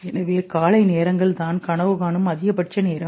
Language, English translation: Tamil, So when you are getting to the morning hours that is the maximum time of dreaming